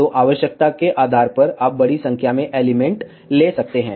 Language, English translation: Hindi, So, depending upon the requirement, you can take larger number of elements